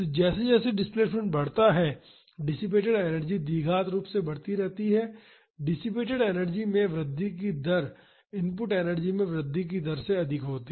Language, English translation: Hindi, As the displacement grows the dissipated energy keeps on increasing quadratically, the rate of increase in the dissipated energy is more than, the rate of increase in the input energy